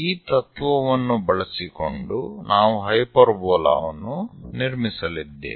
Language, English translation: Kannada, Using this principle, we are going to construct a hyperbola